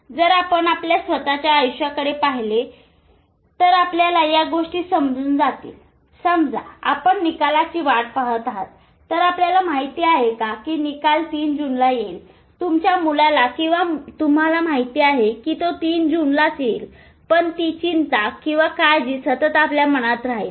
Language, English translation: Marathi, So if you look at our own life, suppose you are waiting for a result and you know the result will come on 3rd June, maybe of your child or of yourself, you know it will come on 3rd June